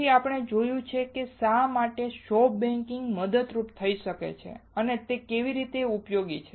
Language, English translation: Gujarati, Then we have seen why soft baking can be helpful and how it is helpful